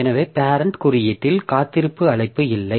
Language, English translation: Tamil, So, the parent code does not have a weight call